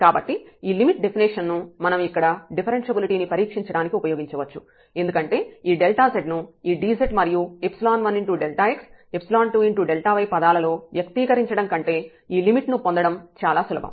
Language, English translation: Telugu, So, we can use this limit definition here for testing the differentiability, because getting this limit is easier than expressing this delta z in terms of this dz and epsilon delta x delta y term